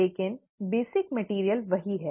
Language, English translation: Hindi, But, the basic material is the same